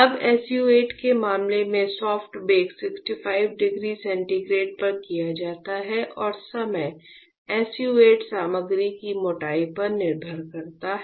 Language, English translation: Hindi, Now, in case of SU 8, the soft bake is done at 65 degree centigrade and the time depends on the thickness of the SU 8 material alright